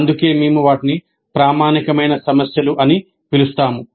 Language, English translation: Telugu, That's why we call them as authentic problems